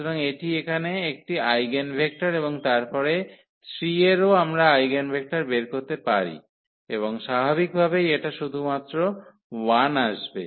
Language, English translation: Bengali, So, this is one of the eigenvectors here and then corresponding to 3 also we can compute the eigenvector and that is naturally it will come 1 only